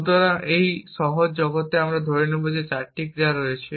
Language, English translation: Bengali, So, in this simple world we will assume that there are 4 actions, one is pickup